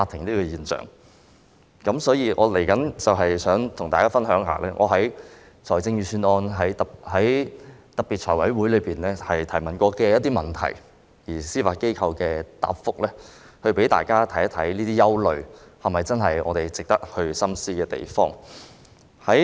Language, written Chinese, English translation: Cantonese, 稍後，我想與大家分享一下我曾在財務委員會審核預算案的特別會議上提出的一些問題，以及司法機構的答覆，好讓大家看看這些憂慮是否有值得我們深思的地方。, A moment later I wish to share with Members some questions that I raised during the examination of the Budget at the special Finance Committee FC meetings and the replies given by the Judiciary so that Members may consider whether these concerns warrant our deliberation